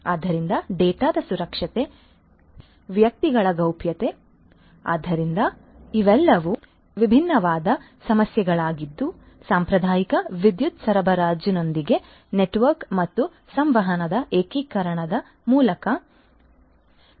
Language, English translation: Kannada, So, security of the data privacy of the individuals so, these are all different different issues that will have to be considered through the integration of network and communication with the traditional power supply